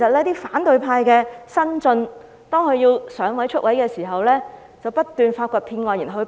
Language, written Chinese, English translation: Cantonese, 當反對派的新晉要"上位"、"出位"的時候，便要不斷發掘騙案來報警。, When those newbies of the opposition camp are fighting for a way up or when they have to gain exposure they would keep digging up scams for reporting to the Police